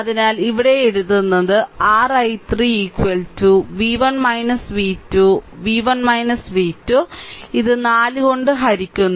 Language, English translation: Malayalam, So, here I am writing your i 3 is equal to v 1 minus v 2 v 1 minus v 2 divided by this 4 right